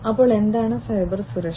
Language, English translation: Malayalam, So, what is Cybersecurity